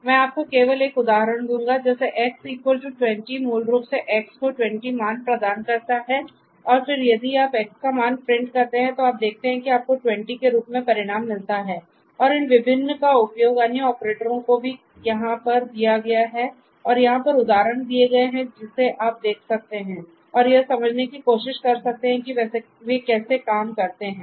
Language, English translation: Hindi, So, X equal to ill just give you an example one of these X equal to 20 basically assigns this value 20 to X and then if you print the value of X you see that you get the result as 20 and these the use of these different other operators are also given over here and there examples given over here so you may go through and try to understand how they work